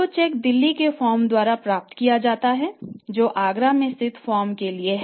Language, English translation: Hindi, So, it means what will happen when the check will be received by the firm who is located in Agra from the firm in Delhi